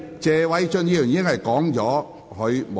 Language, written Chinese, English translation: Cantonese, 謝偉俊議員，請繼續發言。, Mr Paul TSE please continue with your speech